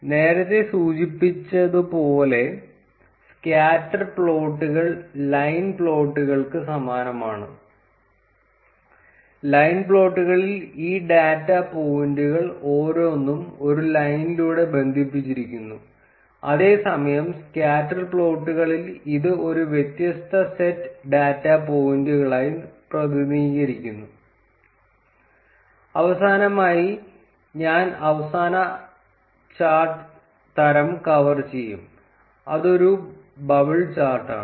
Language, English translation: Malayalam, As mentioned earlier scatter plots are similar to line plots; in line plots each of these data points is connected by a line, whereas in scatter plots it is just represented as a different set of data points and not really connected by a line Finally, I will cover the last chart type, which is a bubble chart